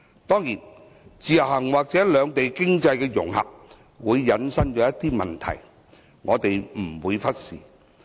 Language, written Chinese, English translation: Cantonese, 當然，自由行或兩地經濟融合會引申一些問題，我們不會忽視。, Of course we will not ignore certain problem arising from IVS and the economic integration of the two places